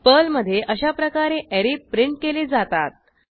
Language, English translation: Marathi, This is how we can print the array in Perl